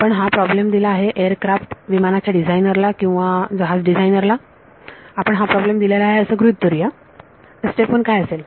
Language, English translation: Marathi, You are given this problem let us you know a aircraft designer or ship designer you are given this problem what would be step 1